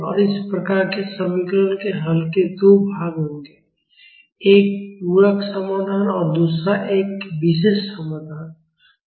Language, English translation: Hindi, And the solution of these type of equations will have two parts; one is a complementary solution and another is a particular solution